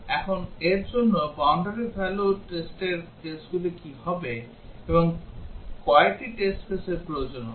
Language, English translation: Bengali, Now what would be the boundary value test cases for this, and how many test cases will be needed